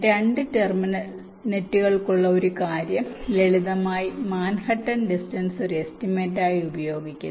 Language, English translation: Malayalam, so one thing: for two terminal nets, simple manhattan distance is use as a estimate